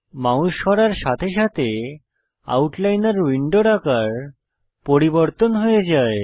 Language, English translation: Bengali, Drag your mouse to the middle of the Outliner window